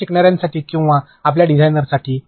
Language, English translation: Marathi, For your learners or for your designers